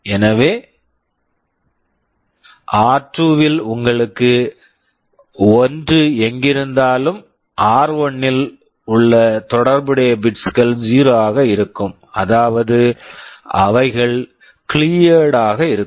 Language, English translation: Tamil, So, wherever in r2 you have 1 those corresponding bits in r1 will be made 0; that means those will be cleared